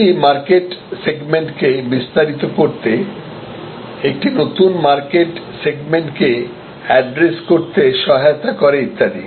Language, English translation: Bengali, It also helps to expand the market segment, address a new market segment and so on